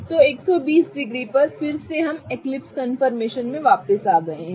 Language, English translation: Hindi, So, at 120 degrees again we have gotten back to the eclipse conformation